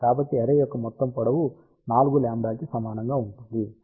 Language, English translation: Telugu, So, total length of the array will be equal to 4 lambda